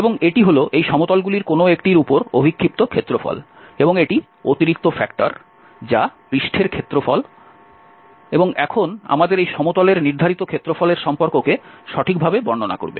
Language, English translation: Bengali, And this is the projected area on one of these planes and this is the additional factor which will cover exactly the relation that the surface area and now, we have in the plane, corresponding area in the plane because there is a relation